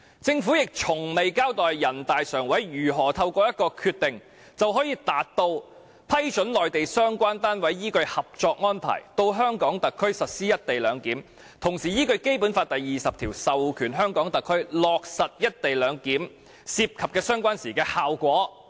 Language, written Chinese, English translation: Cantonese, 政府亦從未交代人大常委會如何透過一個決定，就可以達到"批准內地相關單位依據《合作安排》到香港特區實施一地兩檢，同時依據《基本法》第二十條授權香港特區落實一地兩檢涉及的相關事宜"的效果。, Neither has the Government ever explained how NPCSC can through a single decision approve relevant Mainland authorities to implement the co - location arrangement in Hong Kong as well as authorize HKSAR to implement matters in relation to the co - location arrangement in accordance with Article 20 of the Basic Law